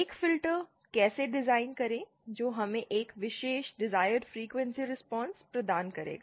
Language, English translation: Hindi, How to design a filter that will provide us a particular desired frequency response